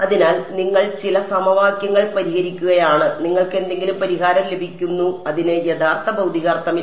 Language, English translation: Malayalam, So, you are you are solving some system of equations you are getting some solution it has no real physical meaning